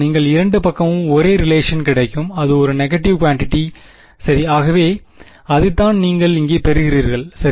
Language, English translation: Tamil, You get the same relation on both sides and it is a negative quantity right, so that is what you get over here alright